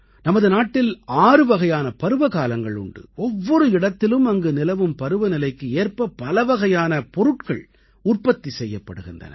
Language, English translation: Tamil, There are six different seasons in our country, different regions produce diverse crops according to the respective climate